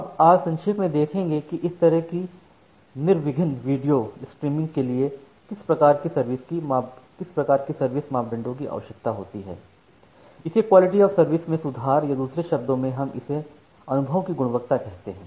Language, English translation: Hindi, Now, today we will look into briefly that what type of quality of service parameters are required for this kind of smooth video streaming, or to improve the quality of service or in other words sometimes we call it as quality of experience